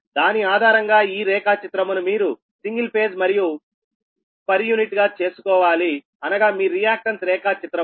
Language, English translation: Telugu, based on that you have to make this diagram single per unit di ah, your ah reactance diagram, right